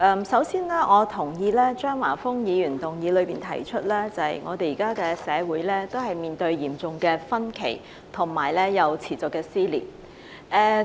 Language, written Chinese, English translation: Cantonese, 首先，我同意張華峰議員在議案中指出，現時社會出現嚴重分歧和持續撕裂。, First of all I agree with Mr Christopher CHEUNG who pointed out in his motion that society has been incessantly torn apart due to serious disagreements in society